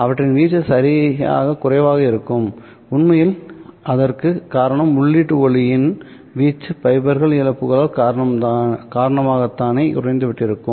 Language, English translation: Tamil, Actually that is because the amplitude of the input light itself would have gotten lower because of the fiber losses